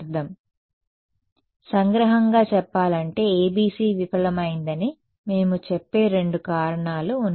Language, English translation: Telugu, So, to summarize there are two reasons that we say that the ABC fail